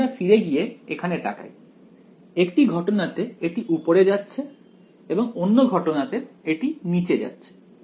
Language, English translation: Bengali, So, we look back over here one case its going up and the other case is going down right